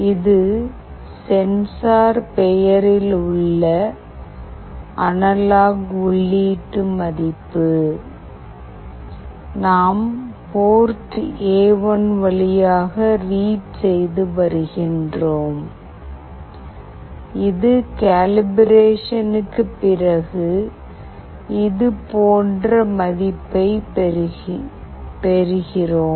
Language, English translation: Tamil, This is the analog input value in the name of sensor, we are reading through port A1 and this is after calibration, we get a value like this … value is 297